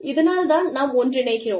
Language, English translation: Tamil, This is why, we are getting together